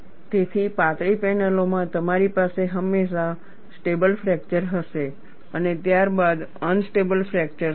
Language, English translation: Gujarati, So, in thin panels, you will always have a stable fracture, followed by unstable fracture